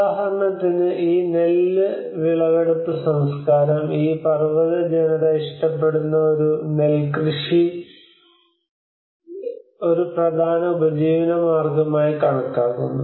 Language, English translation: Malayalam, Like for instance, and some of these rice harvesting culture, where these mountain people like they have these rice harvesting as one of the important livelihood source